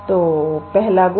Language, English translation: Hindi, So, first property